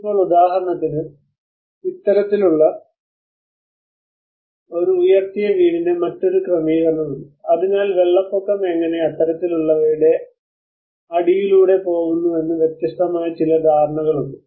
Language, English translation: Malayalam, Now, for instance, there is another setting of this kind of a raised house so there are some different understanding how maybe the flood water can go beneath something like that